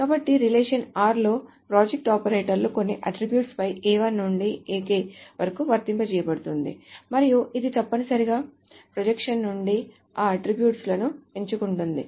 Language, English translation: Telugu, So on a relation R, the project operator is applied on certain attributes A1 to AK and it essentially just selects out those attributes from the projection